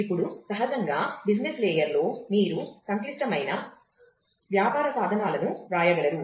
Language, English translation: Telugu, Now, naturally business layer you could write complex business tools